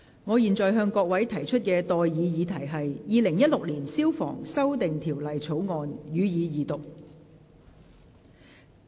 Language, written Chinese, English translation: Cantonese, 我現在向各位提出的待議議題是：《2016年消防條例草案》，予以二讀。, I now propose the question to you and that is That the Fire Services Amendment Bill 2016 be read the Second time